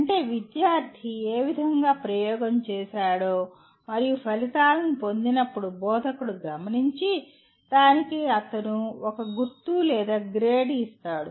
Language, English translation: Telugu, That means once the instructor observes to in what way the student has performed the experiment and got the results he will give a mark or a grade to that